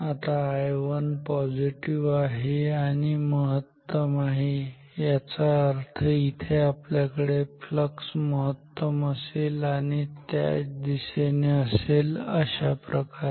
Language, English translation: Marathi, Now I 1 is positive and maximum ok, so; that means, we will have maximum flux here and in the same direction like this